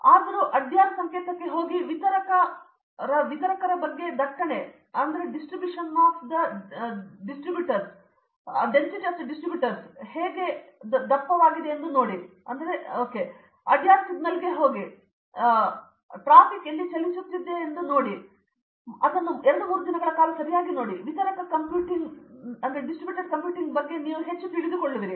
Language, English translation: Kannada, Anyway go to Adyar signal and see how their traffic is thick talking about distributor, go to Adyar signal and see how traffic is moving here and there right observe it for 2, 3 days then you will understands more about distributor computing is true